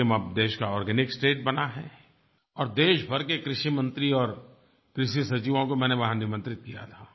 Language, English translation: Hindi, Sikkim has now become an organic state and I had invited the country's agriculture ministers and secretaries there